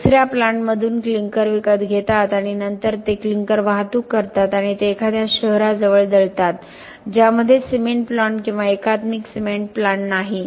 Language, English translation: Marathi, They buy clinker from some other plant and then they transport the clinker and they grind it near a city which does not have a cement plant or integrated cement plant nearby